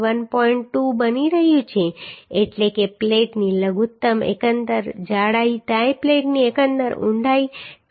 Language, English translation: Gujarati, 2 that means minimum overall thickness of the plate overall depth of the tie plate will be 291